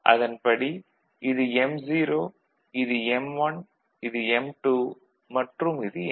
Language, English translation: Tamil, So, this is your m0, this is your m1, this your m2 and this is your m3, clear